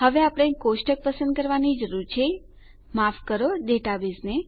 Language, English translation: Gujarati, Now we need to select our table, sorry our database